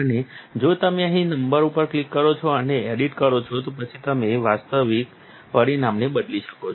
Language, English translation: Gujarati, And if you click the number out here and edit, then you can change the actual parameters